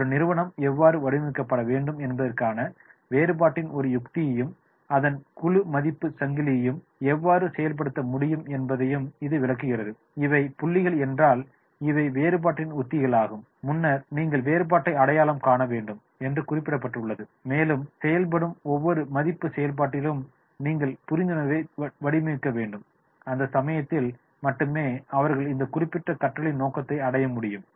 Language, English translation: Tamil, So, therefore, it illustrates that is the how an organization can implement a strategy of differentiation that is need to be designed and its entire value chain with the intent that is the if these are the points, these are the strategies of differentiation, early it was mentioned that is you have to identify the differentiation and then you have to design the understanding in every value activity that it performs and only in that case then they will they will be able to go for this particular learning objective